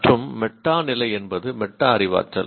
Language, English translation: Tamil, And meta level is the metacognition